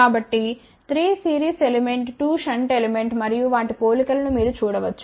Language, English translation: Telugu, So, you can see that there are 3 series element 2 shunt element, and just to tell you the comparison